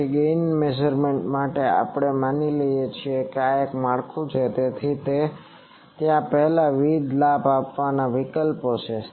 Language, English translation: Gujarati, So, for gain measurement we assume this is the structure and there are various gain measurement options before that